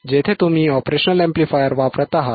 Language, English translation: Marathi, Where you are using the operational amplifier